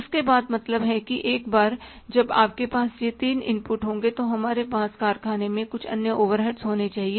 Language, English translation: Hindi, After that means once you have these three inputs then we have to have some other overheads in the factory